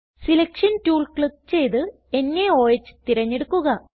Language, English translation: Malayalam, Click on Selection tool and select NaOH